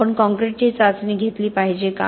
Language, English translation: Marathi, Should we be testing concretes